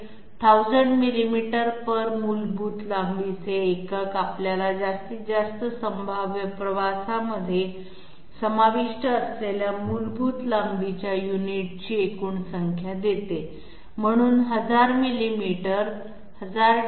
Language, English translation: Marathi, 100 millimeters divided by the basic length unit gives us the total number of basic length unit which are contained in the maximum possible travel, so 1000 sorry 1000 millimeters, I was mistakenly referring to it as 100